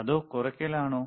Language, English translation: Malayalam, So, or by decreasing